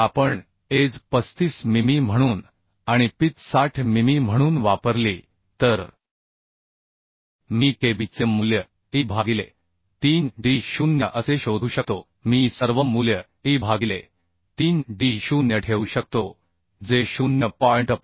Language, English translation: Marathi, So if we use edge as 35 mm and pitch as 60 mm then I can find out kb value as e by 3d0 like this I can put the all the value e by 3d0 which will become 0